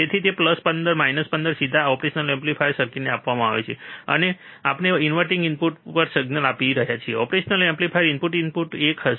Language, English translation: Gujarati, So, that plus 15 minus 15 is directly given to the operational amplifier circuit, and now we are applying the signal at the inverting input, inverting input of the operational amplifier, what was a single